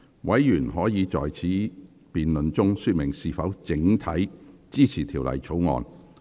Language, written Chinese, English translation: Cantonese, 委員可在此辯論中說明是否整體支持《條例草案》。, Members may indicate whether they support the Bill as a whole in this debate